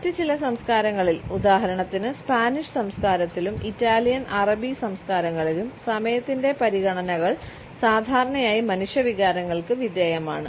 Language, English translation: Malayalam, In certain other cultures for example, in Spanish culture as well as in Italian and Arabic cultures, we find that the considerations of time are usually subjected to human feelings